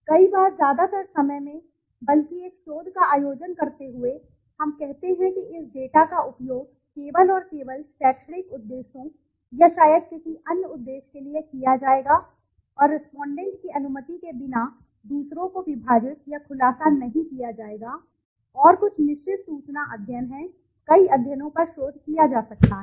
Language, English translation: Hindi, Many a times, in most of the times rather, while conducting a research we say that this data would be used only and only for academic purposes or maybe some other purpose and would not be divulged or disclosed to others without the permission of the respondent but, and there are some certain information studies, research can be done on several studies